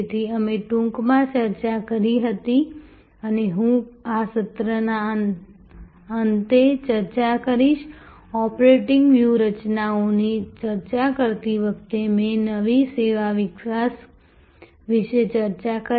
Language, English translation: Gujarati, So, therefore, we had briefly discussed and I will discuss at the end of this session, while discussing the operating strategies, I did discuss about new service development